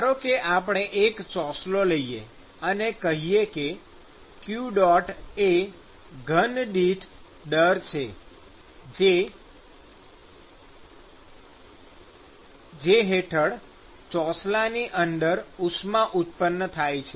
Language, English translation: Gujarati, Supposing we take a slab and let us say that q dot is the volumetric heat that is being generated inside the slab